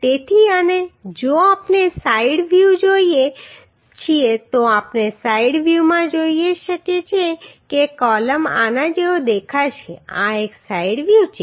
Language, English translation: Gujarati, So and if we see the side view we can see in the side view the columns will look like this this is a side view